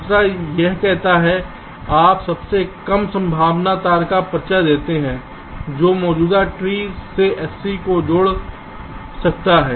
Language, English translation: Hindi, second one says: you introduce the shortest possible wire that can connect s, c to the existing tree